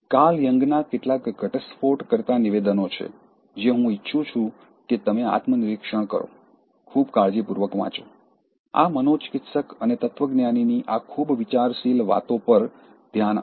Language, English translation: Gujarati, There are some revealing statements from Carl Jung, which I want you to introspect, read very carefully, even meditate over these very thoughtful sayings from this psychiatrist and philosopher